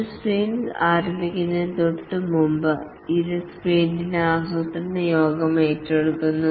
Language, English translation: Malayalam, The sprint planning meeting, it is undertaken just before a sprint starts